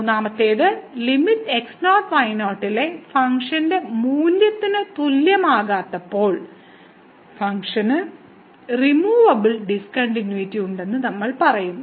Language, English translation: Malayalam, And the third one when this limit is not equal to the function value at naught naught, then we call that the function has removable discontinuity